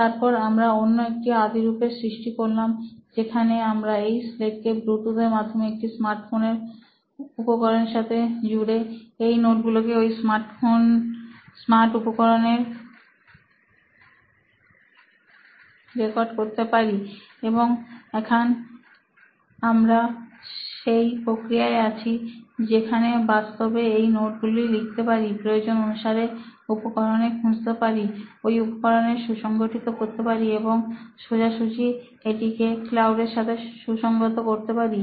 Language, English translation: Bengali, Then we tried with another prototype where we can actually connect this slate to a smart device through Bluetooth and actually record that notes in a smart device, then write now we are in a process where we can actually write these notes, retrieve these notes in the same device and organize them in the same device and directly sync to the cloud within the same device